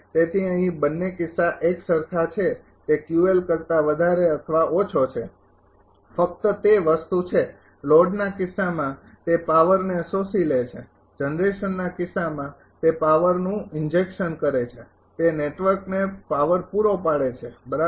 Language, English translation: Gujarati, So, both the cases things are same here it is Q L greater than 0 less than only thing is that, in the case of load it is absorbing power, in the case of generation it is injecting power it is power supplying to the network right